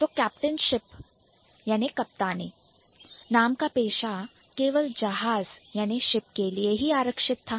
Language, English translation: Hindi, So, captain or the profession named captain ship was reserved only for the ship